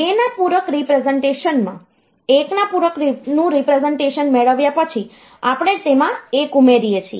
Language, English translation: Gujarati, In 2’s complement representation, what is done; after getting 1’s complement representation, we add 1 to it